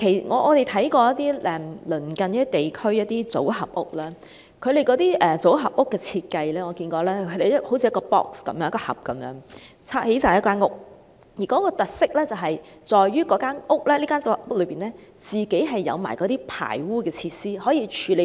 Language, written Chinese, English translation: Cantonese, 我們看過一些鄰近地區的組合屋，其設計就好像以一個一個盒子，砌成一間房屋，而其特色在於組合屋有排污設施，可以處理排污。, We have seen modular housing in some neighbouring places . The design is like building a housing unit using various boxes and is featured by its connection to sewage facilities to handle sewage